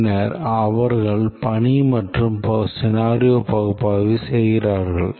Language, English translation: Tamil, And then for each task we need to do the scenario analysis